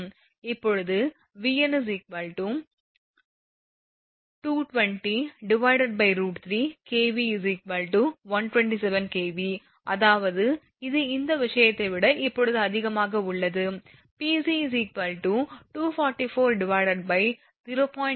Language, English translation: Tamil, Now, Vn is equal to 220 upon root 3 kV that is 127 kV so; that means, this one your this thing higher than this one now Pc will be 244 upon 0